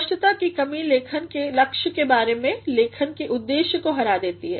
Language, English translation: Hindi, Lack of clarity about the aim of writing defeats the purpose of writing